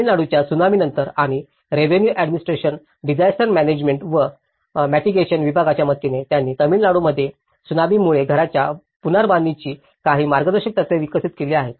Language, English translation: Marathi, So, after the Tsunami, government of Tamil Nadu and with the help of Revenue Administration Disaster Management and Mitigation Department, they have also developed certain guidelines of reconstruction of houses affected by tsunami in Tamil Nadu